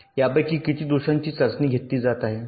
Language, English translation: Marathi, so how many of these faults are getting tested